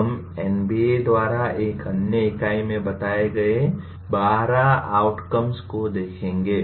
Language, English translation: Hindi, We will see the 12 outcomes that have been stated by NBA in another unit